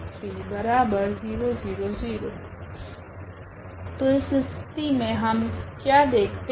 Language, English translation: Hindi, So, what do we see now in this case